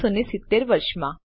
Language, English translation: Gujarati, in the year 1970